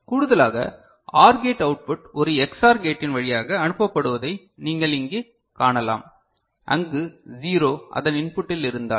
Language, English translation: Tamil, In addition, what you can find over here that the OR gate output is passed through an Ex OR gate where if a 0 is present at its input